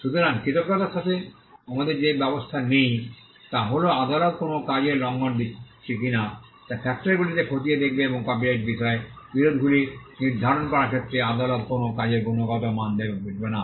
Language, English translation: Bengali, So, thankfully we do not have that arrangement what we have is the fact that the courts will look into factors whether a work is being infringed or not and the court will not look into the quality of a work when it comes to determining disputes on copyright